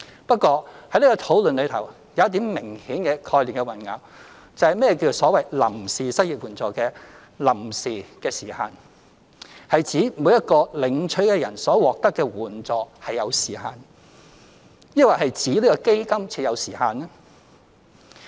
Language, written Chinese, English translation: Cantonese, 不過，在這個討論中，有一點是明顯的概念混淆，就是何謂臨時失業援助金的臨時時限，是指每一個領取的人所獲得的援助是有時限，抑或是指這個基金設有時限？, However in this discussion obviously there is a confusion of concepts over one point and that is the meaning of temporary as in the so - called temporary unemployment assistance . Does it refer to the time limit for a recipient to receive the assistance or that for implementing the fund?